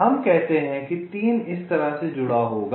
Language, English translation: Hindi, lets say three will be connected like this: three is connected